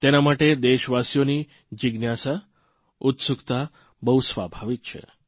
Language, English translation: Gujarati, It is natural for our countrymen to be curious about it